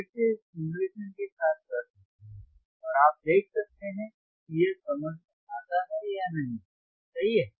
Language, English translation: Hindi, This you can do again with simulation, and you can find it whetherif it makes sense or not, right